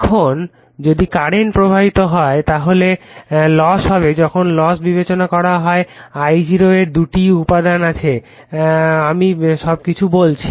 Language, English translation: Bengali, Now, if current flows then losses will occur when losses are considered I0 has to 2 components I told you everything